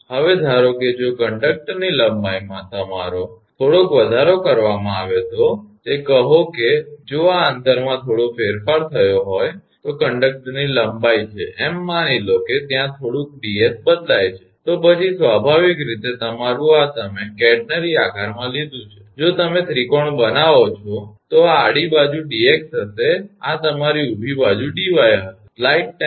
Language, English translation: Gujarati, Now, suppose if that if the there is a your certain your little bit of increase in the conductor length your say, this is the conductor length if there is a little bit of change in the distance say, it is s suppose there is a little change in ds then then naturally your this is you have taken in catenary shape if you make a triangle then horizontal side will be dx and your vertical side will be dy